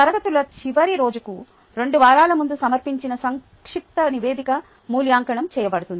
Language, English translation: Telugu, a concise report submitted two weeks before the last day of classes will be evaluated